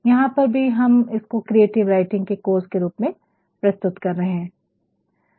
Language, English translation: Hindi, Even here we are also offering a course on creative writing